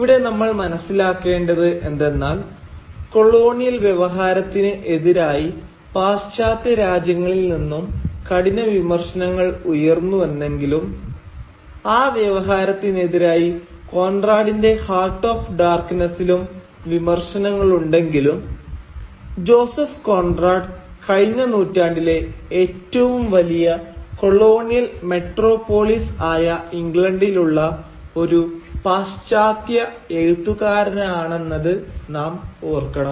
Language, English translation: Malayalam, Now, you will have to understand here that, in spite of the sharp criticism of the colonial discourse which was emanating from the West and the kind of sharp criticism of that discourse that we find in Joseph Conrad’s novel Heart of Darkness, we will have to remember that Joseph Conrad himself was finally a Western author who was situated in England, which was one of the biggest colonial metropolis of the last century